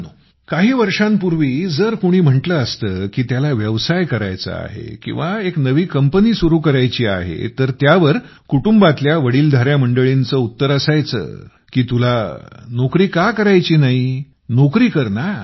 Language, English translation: Marathi, a few years back if someone used to say that he wants to do business or wants to start a new company, then, the elders of the family used to answer that "Why don't you want to do a job, have a job bhai